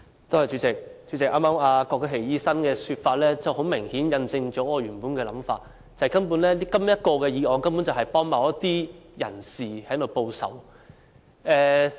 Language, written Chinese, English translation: Cantonese, 主席，剛才郭家麒醫生的說法很明顯印證了我原本的想法，即這項議案根本是幫助某些人士報仇。, President apparently the remark made by Dr KWOK Ka - ki just now has confirmed my original thinking that this motion is intended to help certain people to take revenge